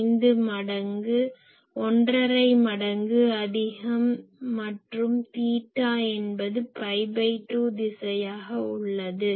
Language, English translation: Tamil, 5 times omni and said theta is equal to pi by 2 direction